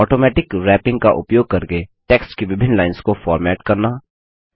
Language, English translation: Hindi, Formatting multiple lines of text using Automatic Wrapping